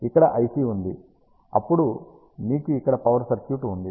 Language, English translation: Telugu, Here is the IC ah, then you have the power circuitry over here